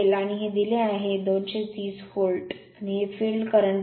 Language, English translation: Marathi, And this is 230 volt is given, and this is the field current I f